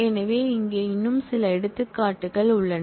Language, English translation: Tamil, So, here are couple of more examples